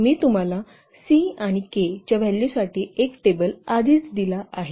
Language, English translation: Marathi, So we can easily choose the value of the C and K